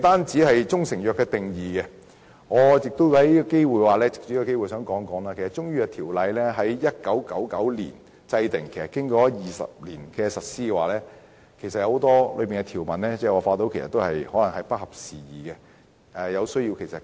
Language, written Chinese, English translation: Cantonese, 除了"中成藥"的定義，我也藉此機會談談《條例》在1999年制定，經過了20年的實施，當中有很多條文可能已經不合時宜，有需要更新。, Apart from the definition of proprietary Chinese medicine let me take this opportunity to talk about CMO which was enacted in 1990 . After 20 years of implementation many of its provisions may have become outdated and need updating